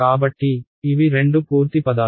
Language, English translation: Telugu, So, these are the two completing terms